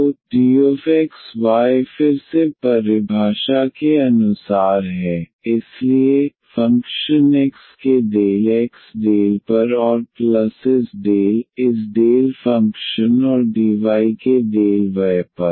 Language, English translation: Hindi, So, the differential of this xy is again as per the definition, so, del over del x of the function dx and plus this del over del y of this given function and dy